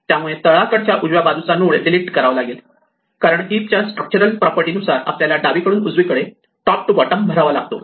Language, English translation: Marathi, So, this node at the bottom right must be deleted because the structural property of the heap says that we must fill the tree left to right, top to bottom